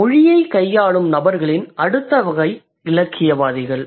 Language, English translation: Tamil, Then the next category of people who deal with language is the literary artist